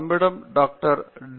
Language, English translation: Tamil, We also have a Dr